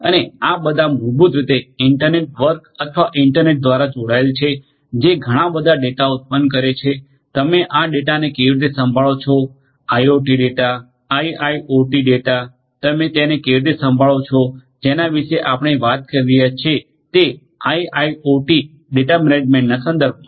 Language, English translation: Gujarati, And each of all of these basically connected to the through the internet work or the internet, generating lot of data, how do you handle this data, IoT data, IIoT data, how do you handle it is, what we are talking about in the context of IIoT data management